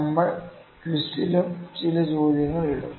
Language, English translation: Malayalam, So, we will put some questions in the quiz as well